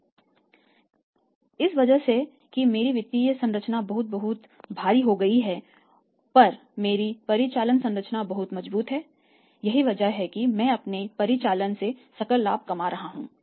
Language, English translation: Hindi, So, because of that my financial structures become very, very heavy but my operating structure is very strong I am earning gross profit from my operations